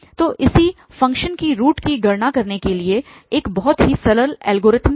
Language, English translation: Hindi, So, it is a very simple algorithm to compute the root of a function